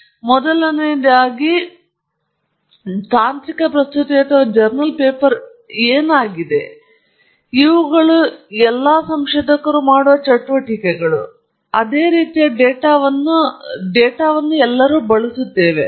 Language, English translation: Kannada, So, the first point, we will look at is technical presentation versus a journal paper, because both of these are activities that researchers do, and, typically, we are using the same kind of data